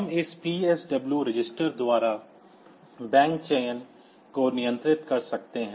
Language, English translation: Hindi, We can control this bank selection by this PSW register